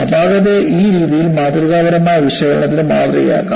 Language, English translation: Malayalam, The flaw can be modeled in this fashion for analytical development